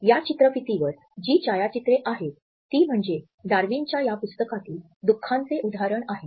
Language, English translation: Marathi, The photographs which you can see on this slide are the illustration of grief from this book by Darwin